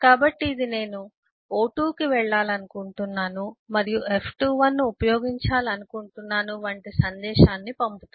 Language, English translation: Telugu, so it kind of sends a message like I want to go to o, o2 and use f21 and so on